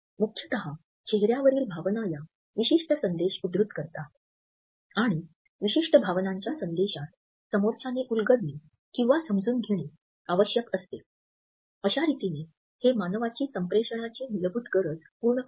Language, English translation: Marathi, Basically, we find that our facial expressions and quote a certain message and this message of a particular emotion has to be decoded by the other interact and so in a way they fulfill a basic need of human beings to communicate